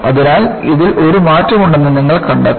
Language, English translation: Malayalam, So, you find that, there is a shift in this